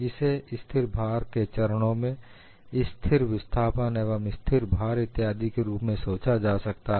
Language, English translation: Hindi, This could be thought of as steps of constant load, constant displacement, constant load, and constant displacement so on and so forth